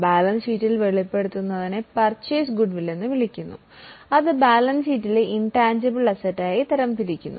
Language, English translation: Malayalam, What is disclosed in the balance sheet is called as a purchased goodwill which is classified as intangible asset in the balance sheet